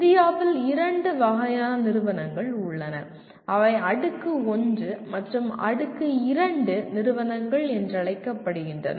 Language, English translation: Tamil, And in India you have two types of institutions which are called Tier 1 and Tier 2 institutions